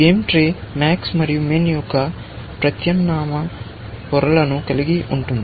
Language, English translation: Telugu, The game tree consist of alternate layers of max and min